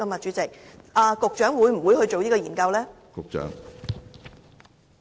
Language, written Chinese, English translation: Cantonese, 主席，局長會否進行這項研究呢？, President will the Secretary carry out such a study?